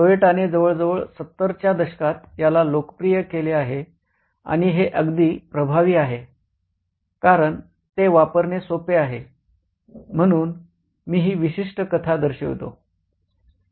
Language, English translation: Marathi, This is popularized by Toyota in the 70s almost and it's quite effective because it's so simple to use